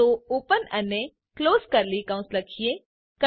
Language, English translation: Gujarati, So open and close curly brackets